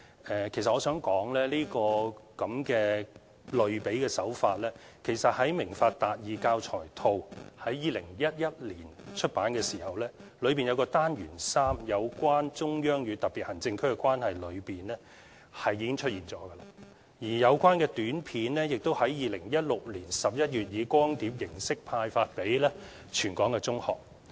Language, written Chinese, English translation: Cantonese, 其實我想指出，這種類比手法，在2011年出版的"明法達義"教材套，單元3有關"中央與香港特別行政區的關係"中已經出現，另外有關短片也在2016年11月以光碟形式派發給全港中學。, In fact I want to point out that in the Understanding the Law Access to Justice―Basic Law Learning Package printed in 2011 we can already see a similar analogy in its Unit 3 which is entitled Relationship between the Central Authorities and the Hong Kong Special Administrative Region . Besides compact videos discs of this Unit were distributed in November 2016 to all secondary schools in Hong Kong